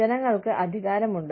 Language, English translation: Malayalam, People have power